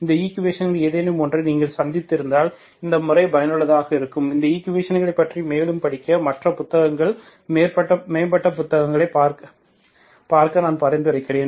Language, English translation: Tamil, You may encounter, if you have encountered any of these equations, these methods can be useful, I suggest you to look into other books, advanced books for the 2, and study further on these equations, okay